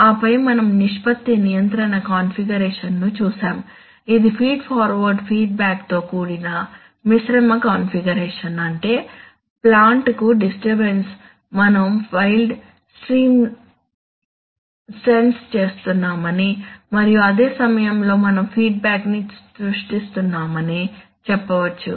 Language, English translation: Telugu, And then we saw a ratio control configuration which is a mixed feed forward feedback configuration, in the sense that the disturbance to the plant, you can say that the wild stream we are sensing and at the same time we are creating a feedback